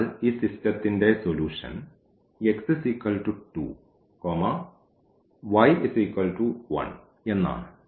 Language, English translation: Malayalam, So, the solution is x is equal to 2 and y is equal to 1 of this system